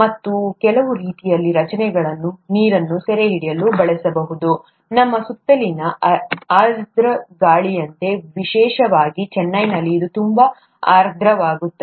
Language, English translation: Kannada, And, some similar structures can be used to capture water from, like the humid air around us, especially in Chennai it's very humid